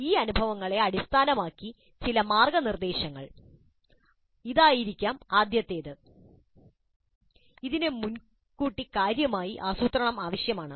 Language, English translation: Malayalam, Based on these experiences, some of the guidelines can be that the first thing is that it requires substantial planning in advance